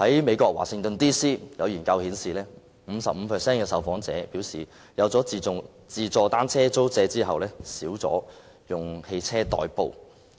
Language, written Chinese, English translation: Cantonese, 美國華盛頓 DC 的研究顯示 ，55% 的受訪者表示在推出"自助單車租借"服務後，減少了以汽車代步。, As shown in a survey in Washington DC the United States 55 % of the respondents indicated that they had commuted less by car after the self - service bicycle hiring service was introduced